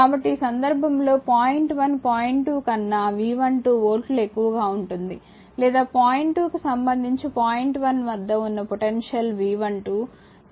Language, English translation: Telugu, So, in this case either point 1 is at potential or V 12 volts higher than point 2 or the potential at point 1 with respect to point 2 is V 12 right